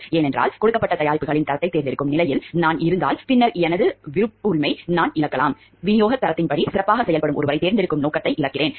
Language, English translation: Tamil, Because if I am in a position to select the quality of the products given and then I lose my power of discretion, I lose my power of being objective to select the one who is performing best according to the quality of supply